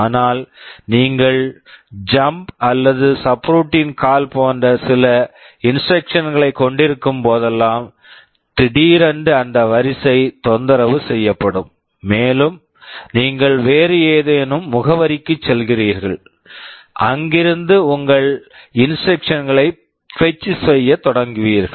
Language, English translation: Tamil, But, whenever you have some instructions like jump or a subroutine call, suddenly that sequence will be disturbed, and you will be going to some other address and from there you will be starting to fetch your instructions